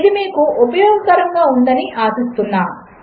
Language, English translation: Telugu, Hope this was useful